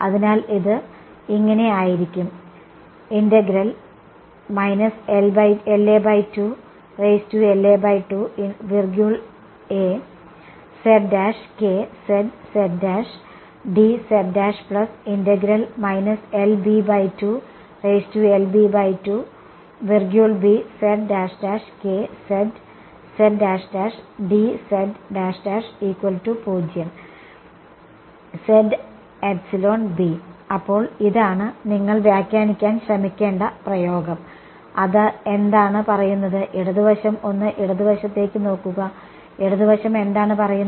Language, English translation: Malayalam, So, this is the expression that you should try to interpret what is just saying that, the left hand side just look at the left hand side, what is the left hand side saying